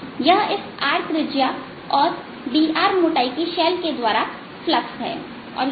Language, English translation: Hindi, that is a flux through this shell of radius r and thickness d r